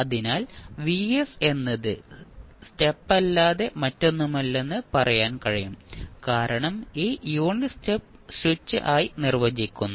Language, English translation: Malayalam, So, you can simply say that vs is nothing but the unit step because this unit step is being defined by the switch